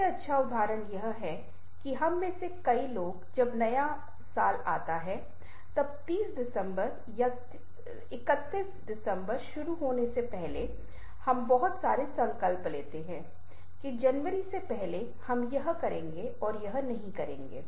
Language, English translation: Hindi, when before the new year starts, ah, thirty first december or thirtieth december, we take lots of resolution that from first of january we shall be doing this ourselves